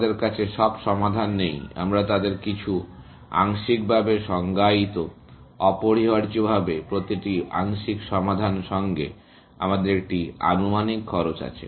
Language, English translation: Bengali, We do not have all the solutions; we have some of them, partially defined, essentially with every partial solution, we have an estimated cost